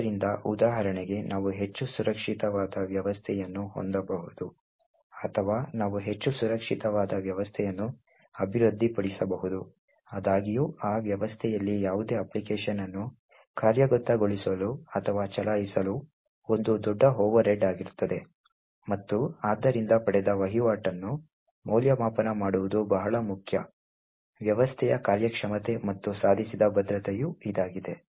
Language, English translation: Kannada, So, for example, we could have highly secure system, or we could develop a highly secure system, however, to execute or run any application on that system would be a huge overhead and therefore it is very important to evaluate the trade off obtain between performance of the system and the security achieved